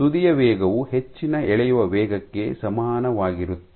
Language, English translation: Kannada, So, faster speed is equivalent to higher pulling rate